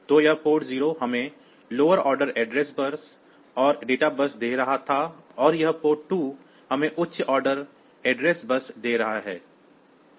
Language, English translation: Hindi, So, this port 0 was giving us the lower order address bus and the data bus and this port 2 is giving us the higher order address bus